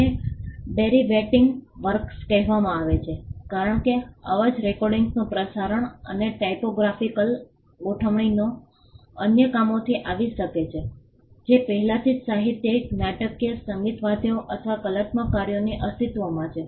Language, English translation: Gujarati, These are called derivative works because, sound recordings broadcast and typographical arrangements could have come from other works that already existed literary dramatic musical or artistic works